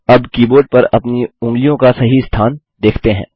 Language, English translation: Hindi, Now, lets see the correct placement of our fingers on the keyboard